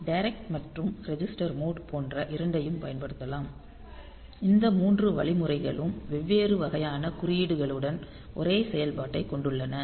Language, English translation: Tamil, So, both direct and register mode can be used; so, these three instruction has same function with different type of code like